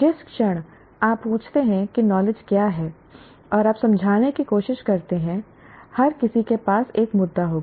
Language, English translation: Hindi, The moment you say what is knowledge, you try to explain that everyone will have an issue with that